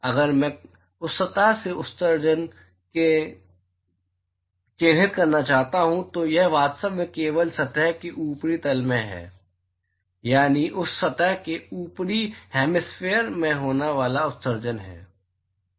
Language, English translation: Hindi, If I want to characterize the emission from that surface it is really emission occurring only in the upper plane of the surface, that is, the upper hemisphere of that surface